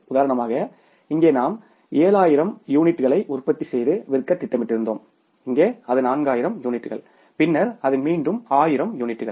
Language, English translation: Tamil, So, for example here we were planning to manufacture and sell 7,000 units here it is 4,000 units and then it is again 4,000 units